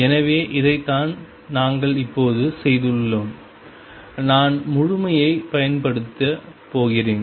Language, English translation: Tamil, So, this is what we have done now I am going to use completeness